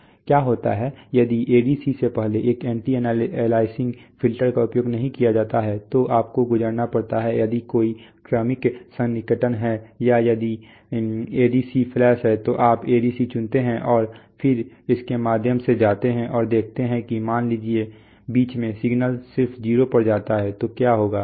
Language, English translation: Hindi, What happens if an anti aliasing filter is not used before an ADC, so you have to go through, if there is a successive approximation or if the ADC is flash so you choose the ADC and then go through it and see is that suppose in the middle, suppose that the signal just goes to 0 then what will happen